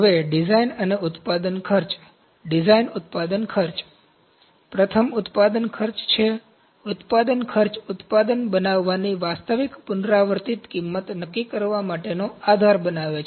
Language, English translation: Gujarati, Now, design and manufacturing costs Design manufacturing costs, first is manufacturing cost, Manufacturing cost form the basis for determining the actual recurring cost of making a product